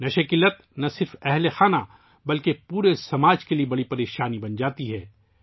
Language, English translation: Urdu, Drug addiction becomes a big problem not only for the family, but for the whole society